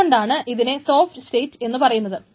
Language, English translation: Malayalam, So that is why it is called in a soft state